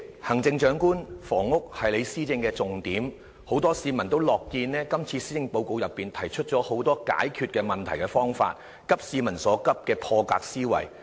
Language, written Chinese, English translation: Cantonese, 行政長官，房屋是你施政的重點，很多市民也樂見這次施政報告提出了很多解決問題的方法，急市民所急的破格思維。, Chief Executive housing is a focus of your administration and many people are glad to see the many solutions set out in the Policy Address with an unconventional mindset that seeks to address peoples pressing concerns